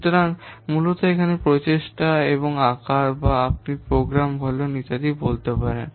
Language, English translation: Bengali, So, basically here the parameters such as efforts and size or this what you can say program volume etc